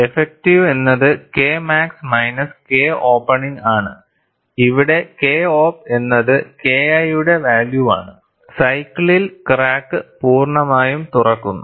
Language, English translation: Malayalam, So, delta K effective is K max minus K opening, where K op is the value of K 1, when the crack opens completely during the cycle